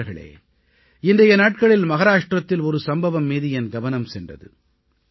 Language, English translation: Tamil, Recently, one incident in Maharashtra caught my attention